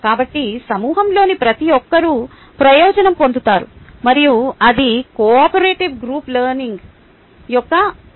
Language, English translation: Telugu, so everybody in the group is benefited, and that is a beauty of cooperative group learning